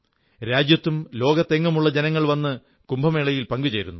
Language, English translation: Malayalam, People from all over the country and around the world come and participate in the Kumbh